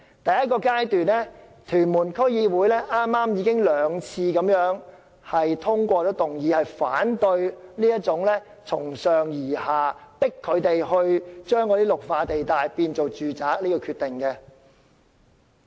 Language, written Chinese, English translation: Cantonese, 第一個階段是，屯門區議會已先後兩次通過議案，反對這個從上而下，強行將綠化地帶改劃為住宅的決定。, The first stage involves the District Council concerned . The Tuen Mun District Council has passed two motions to once again say no to this top - down decision which arbitrarily seeks to rezone the Green Belt areas into residential development